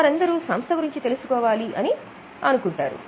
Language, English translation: Telugu, They all want to know about the company